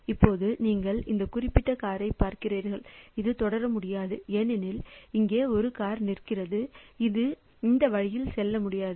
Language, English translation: Tamil, Now you see this particular car it cannot proceed because there is a car standing here and it cannot it cannot go this way